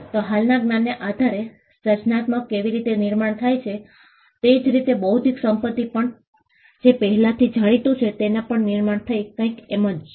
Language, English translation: Gujarati, So, just how creativity comprises of building on existing knowledge, so also intellectual property is something which is build on what is already known